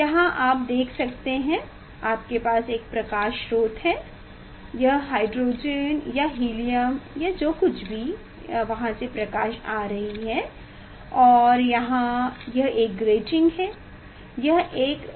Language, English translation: Hindi, here you can see that you have a light source it s the hydrogen or helium or whatever from there s lights are coming and here this one is a grating; this one is a grating